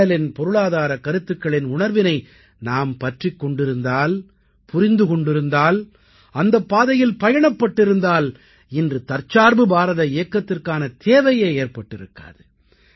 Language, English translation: Tamil, The economic principles of Mahatma Gandhi, if we would have been able to understand their spirit, grasp it and practically implement them, then the Aatmanirbhar Bharat Abhiyaan would not have been needed today